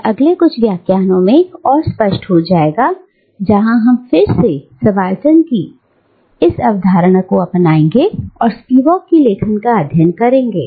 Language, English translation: Hindi, And, it will become more clear in the next couple of lectures, where we will again take up this concept of subaltern, and we will take up the writings of Spivak